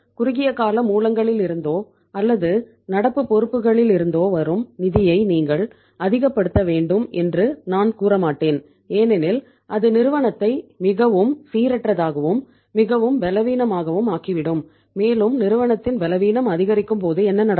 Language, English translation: Tamil, I would not say that you maximize the funds coming from the short term sources or from the current liabilities because that will make the organization highly volatile, highly fragile you can say and when the fragility increases so what will happen